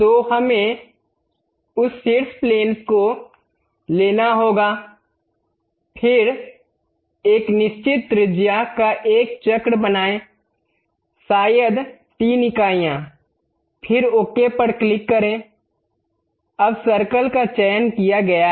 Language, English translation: Hindi, So, we have to take that top plane; then make a circle of certain radius, maybe 3 units, then click ok, now circle has been selected